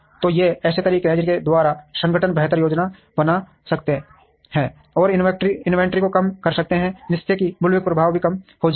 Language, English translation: Hindi, So, these are ways by which organizations can plan better and reduce the inventory, so that the bullwhip effect is also reduced